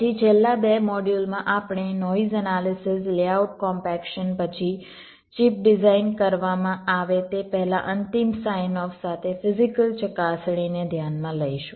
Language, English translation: Gujarati, then in the last two modules we shall be considering noise analysis, layout compaction, then physical verification with final sign off before the chip is designed